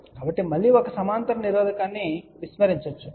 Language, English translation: Telugu, So, again a parallel resistor can be ignored